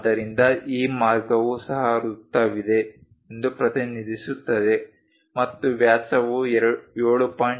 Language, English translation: Kannada, So, this way also represents that there is a circle and the diameter is 7